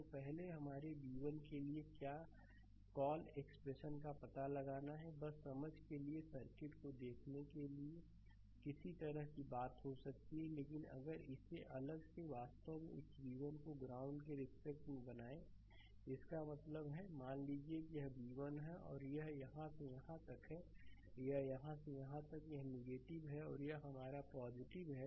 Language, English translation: Hindi, So, first we have to find out the your what we call expression for v 1, just for your understanding looking at the circuit you may have some kind of thing, but ah if I if I make it separately actually this v 1 with respect to the ground; that means, ah suppose this is my v 1 and it is from here to here it is from here to here right this is neg ah this is negative and this is your positive right